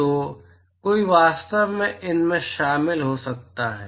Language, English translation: Hindi, So, one can actually join these